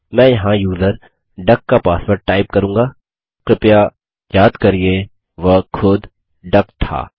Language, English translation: Hindi, I shall type the user ducks password here please recall that it was duck itself